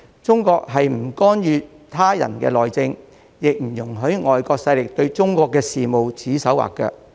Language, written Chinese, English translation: Cantonese, 中國不干預他人的內政，亦不容許外國勢力對中國事務指手劃腳。, China does not interfere in the internal affairs of others nor does it allow foreign powers to dictate the affairs of China